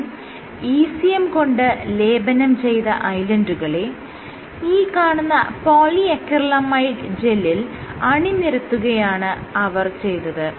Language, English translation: Malayalam, So, these are ECM coated island stamped on top of polyacrylamie gels